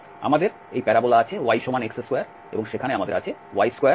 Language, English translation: Bengali, So, this is the curve given there we have this parabola y is equal to x square